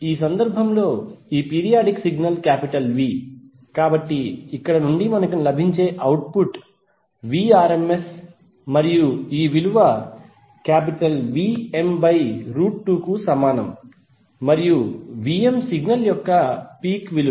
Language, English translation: Telugu, In this case this periodic signal is V, so the output which we get from here is Vrms and this value is equal to Vm by root 2 and Vm is the peak value of the signal